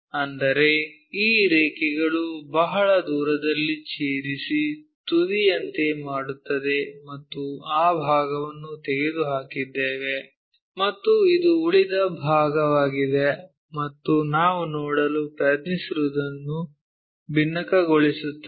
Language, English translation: Kannada, That means, these lines go intersect far away and makes something like apex and that part we have removed it, and the leftover part is this, and that frustum what we are trying to look at